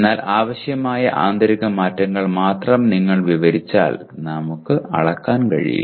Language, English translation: Malayalam, But if only if you describe the internal changes that are required we will not be able to measure